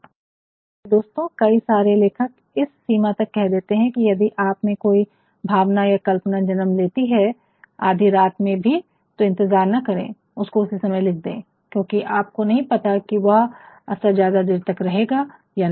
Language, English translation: Hindi, My dear friends many authors have gone to the extent of saying that if an emotion or imagination comes to you, even in late night do not wait please write only there, because you never know that such experiences whether they are going to last longer or not